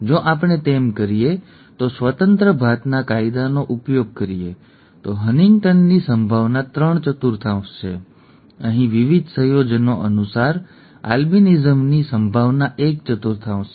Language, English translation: Gujarati, If we do that invoking law of independent assortment, the probability of HuntingtonÕs is three fourth; the probability of albinism is one fourth according to the various combinations here